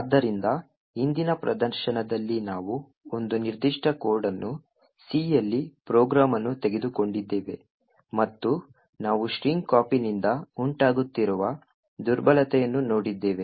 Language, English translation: Kannada, So, in the previous demonstration we had taken a particular code a program in C and we had actually looked at a vulnerability that was occurring due to string copy